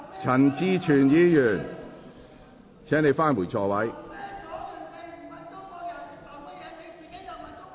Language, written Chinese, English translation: Cantonese, 陳志全議員，請返回座位。, Mr CHAN Chi - chuen please return to your seat